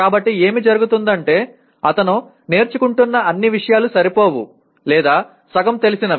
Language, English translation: Telugu, So what happens is all the things that he is learning will either be inadequate or will be half baked